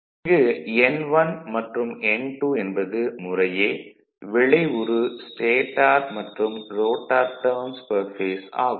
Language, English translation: Tamil, So, in this case where N1, N2 the effective stator and rotor turns per phase right